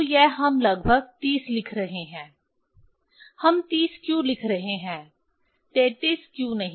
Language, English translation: Hindi, So, this we are writing approximately 30, why we are writing 30, why not 33